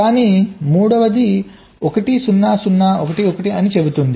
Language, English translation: Telugu, but the third one says zero, zero, one one